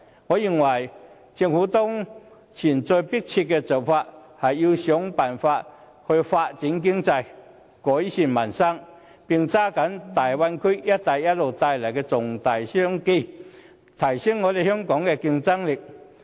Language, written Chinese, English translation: Cantonese, 我認為，政府的當前要務是設法發展經濟，改善民生，並抓緊大灣區及"一帶一路"帶來的重大商機，並提升香港的競爭力。, In my opinion the most urgent task for the Government at present is to improve peoples livelihood through economic development and to seize the major business opportunities brought by the Guangdong - Hong Kong - Macao Bay Area and the Belt and Road Initiative for enhancing Hong Kongs competitiveness